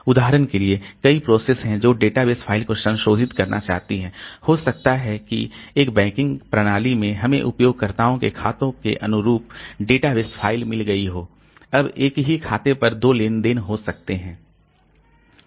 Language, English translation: Hindi, This is particularly true when you have got say the database files so there are multiple processes that wants to modify the database files for example maybe in a banking system we have got the file database files corresponding to the accounts of users now there, there may be two transactions on the same account